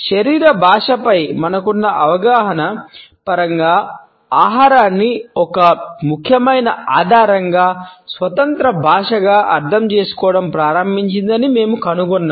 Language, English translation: Telugu, We find that food has started to be interpreted as an independent language as an important clue in terms of our understanding of body language